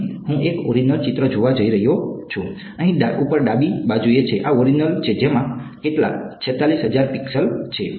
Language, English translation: Gujarati, So, this is the original picture over here top left this is the original which has some how many 46000 pixels